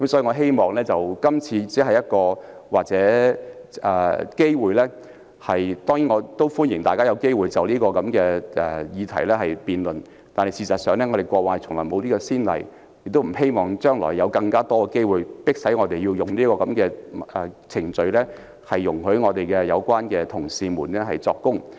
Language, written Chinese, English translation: Cantonese, 我希望在今次這個機會，歡迎大家就這項議題進行辯論，但事實上過去從來沒有這種先例，我亦不希望將來會有更多機會，迫使我們啟動這個程序，准許有關同事作供。, While I hope Members will make use of this opportunity today to debate on this issue there was in fact no precedent as such in the past . And I hope there will be no more such opportunities in the future where we will be forced to trigger the procedure of granting leave to certain colleagues for giving evidence